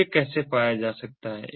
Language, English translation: Hindi, so how it can be found